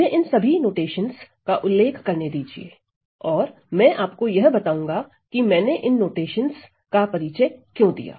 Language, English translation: Hindi, Let me just highlight all these notations and I am going to tell you why all these notations are being introduced